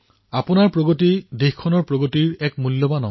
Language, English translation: Assamese, Your progress is a vital part of the country's progress